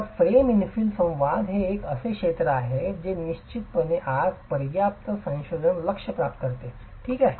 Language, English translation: Marathi, So, the frame infel interaction is an area that definitely receives enough research focus today